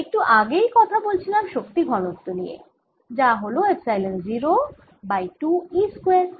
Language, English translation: Bengali, now, according to what we just now said, the energy density, it is one half epsilon zero e square